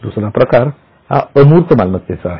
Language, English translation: Marathi, The other type is intangible